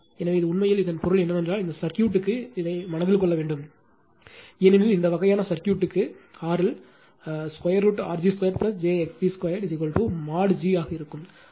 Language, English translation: Tamil, So, this is actually for that means that means for this circuit you have to keep it in mind, for this kind of circuit R L will be your root over R g square plus j x g square is equal to mod g right